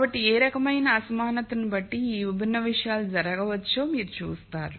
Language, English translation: Telugu, So, you see that depending on what type of inequality these different things can happen